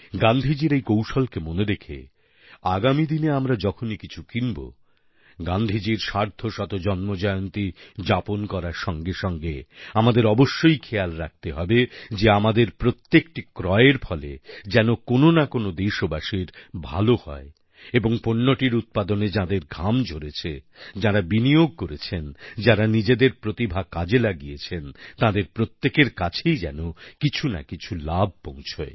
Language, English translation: Bengali, Keeping this mantra of Gandhiji in mind while making any purchases during the 150th Anniversary of Gandhiji, we must make it a point to see that our purchase must benefit one of our countrymen and in that too, one who has put in physical labour, who has invested money, who has applied skill must get some benefit